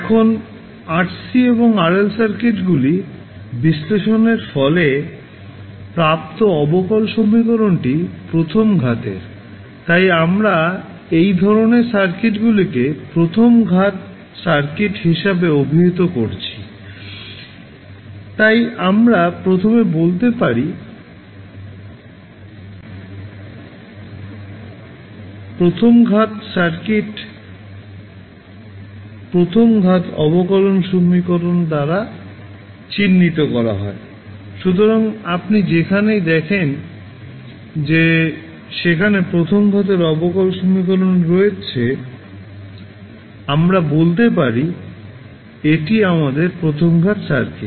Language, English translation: Bengali, Now, the differential equation resulting from analyzing the rc and rl circuits, are of the first order so that is why we called these type of circuits as first order circuit, so we can say that first order circuit is characterize by a first order differential equation, so wherever you see that there is a first order differential equation coming then, we can say this is our first order circuit